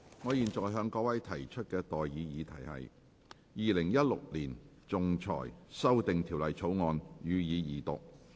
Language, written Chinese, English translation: Cantonese, 我現在向各位提出的待議議題是：《2016年仲裁條例草案》，予以二讀。, I now propose the question to you and that is That the Arbitration Amendment Bill 2016 be read the Second time